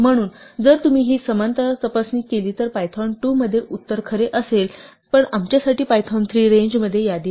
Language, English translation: Marathi, So, if you run this equality check, in Python 2 the answer would be true, but for us in Python 3 range is not a list